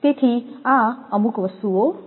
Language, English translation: Gujarati, So, these are certain things